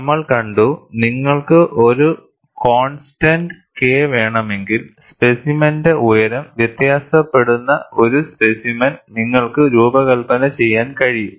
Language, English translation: Malayalam, We have seen, if you want to have a constant K, you could design a specimen where the height of the specimen varies